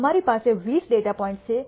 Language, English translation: Gujarati, We have 20 data points